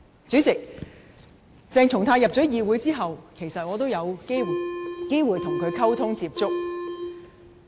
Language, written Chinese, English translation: Cantonese, 主席，鄭松泰加入議會後，我有機會跟他溝通接觸。, President since CHENG Chung - tai entered the Council I have had opportunities to come into contact with him